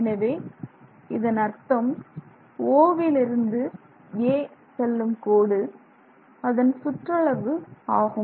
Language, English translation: Tamil, The meaning of that is the line that goes from O to A is the circumference of the tube